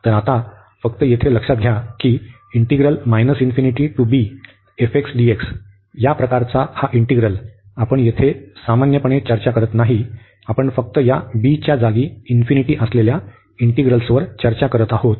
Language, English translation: Marathi, So, now just in note here that this integral of this type minus infinity to b f x dx, we are not you normally discussing here, we are just discussing the integrals where we have infinity in place of this b